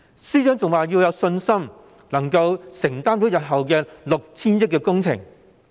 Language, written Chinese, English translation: Cantonese, 司長更說，政府有信心能承擔日後 6,000 億元的工程。, The Financial Secretary even said the Government was confident that it could afford the 600 billion project to be launched in the future